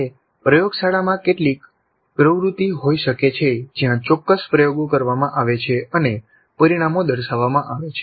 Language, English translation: Gujarati, It can be some activity in the laboratory where certain experiments are conducted and the results are demonstrated